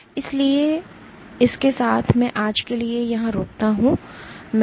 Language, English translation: Hindi, So, with that I stop here for today